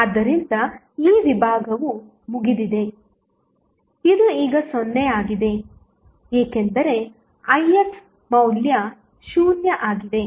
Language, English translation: Kannada, So, this compartment is out, this is 0 now, because the Ix value is 0